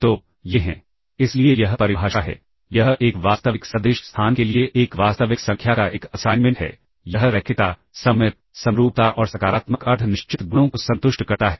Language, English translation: Hindi, So, these are, so this is the definition it is an assignment of a real number for a real vector space it satisfies the linearity, symmetric, symmetry and the positive semi definite properties ok